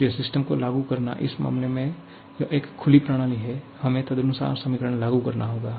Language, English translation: Hindi, So, applying the; it is an open system so, we have to apply the equation accordingly